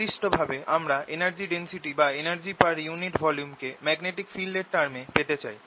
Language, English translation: Bengali, in particular, i want to get the energy density, energy per unit volume in terms of magnetic field